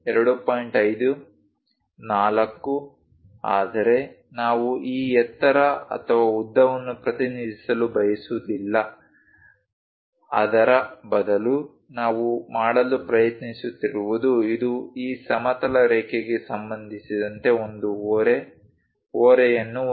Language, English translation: Kannada, 5, 4, but we do not want to represent this height or length, instead of that what we are trying to do is this is having an incline, incline with respect to this horizontal line